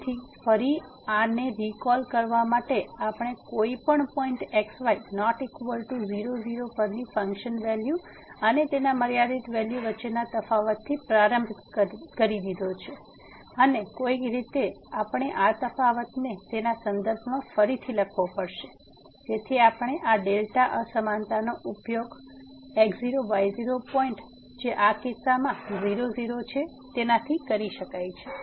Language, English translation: Gujarati, So, again just to recall this so, we have started with the difference between the function value at any point not equal to and its limiting value and somehow we have to write down this difference in terms of the so that we can use this delta inequality from the neighborhood of the x naught y naught point which is in this case